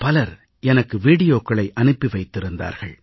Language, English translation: Tamil, Many have sent me the videos of their work in this field